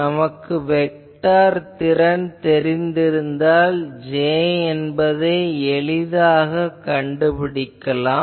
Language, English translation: Tamil, Once we know the vector potential we can easily find J so that will be